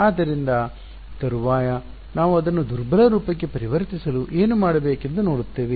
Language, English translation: Kannada, So, subsequently we will see what we need to do to convert it into the weak form this is fine ok